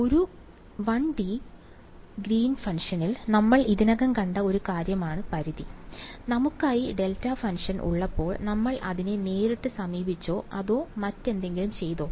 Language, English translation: Malayalam, Limit is one thing we already seen in the 1 D Green’s function; when we had delta function, did we approach it directly or did we do something else to it